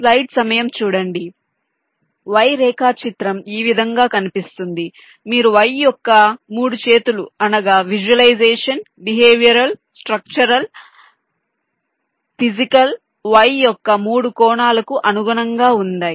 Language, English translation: Telugu, you can see the three arms of the y corresponds to the three angles of visualization: behavioral, structural, physical